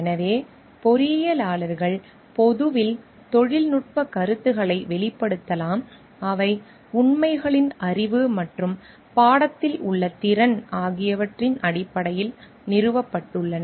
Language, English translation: Tamil, So, engineers may express publicly technical opinions that are founded on the knowledge of facts and competence in the subject matter